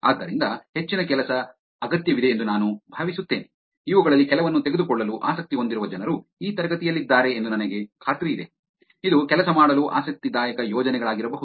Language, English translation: Kannada, So, I think more work is needed, I am sure there are people in the class who are interested in taking some of this, it may be interesting projects to work on